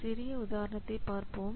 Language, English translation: Tamil, Let's take a small example